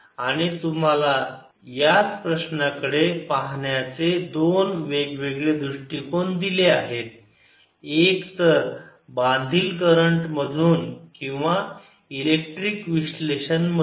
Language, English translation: Marathi, we have given you looking at the same problem, either through the bound current or by electric analysis